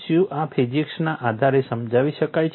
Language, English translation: Gujarati, Can this be explained on the basis of physics